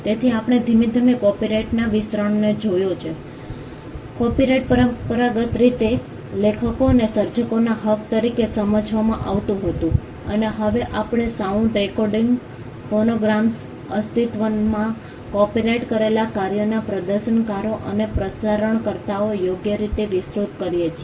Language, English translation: Gujarati, So, we slowly see the expansion of copyright, copyright was traditionally understood as rights of the authors and creators and now we see the right extending to producers of sound recordings, phonograms, performers of existing copyrighted works and broadcasters